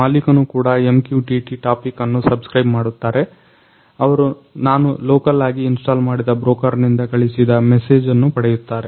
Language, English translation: Kannada, So, owner also subscribe the topic offer MQTT they also get a message that is a sent by the broker which I have installed locally